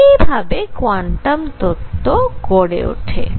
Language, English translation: Bengali, So, this was the build up to quantum theory